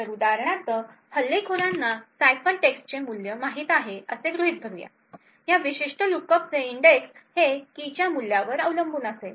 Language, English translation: Marathi, So, for example assuming that the attacker knows the value of the ciphertext, index of this particular lookup would depend on the value of the key